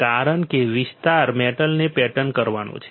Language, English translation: Gujarati, Because the idea is to pattern the metal